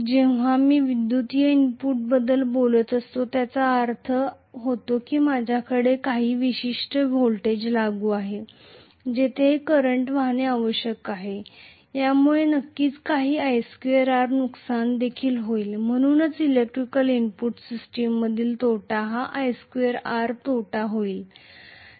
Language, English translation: Marathi, Whenever I am talking about an electrical input, that means I have certain voltage applied, there should be some current flowing, because of which there will be definitely some i square R losses as well, so correspondingly the losses in electrical input system will be i square R losses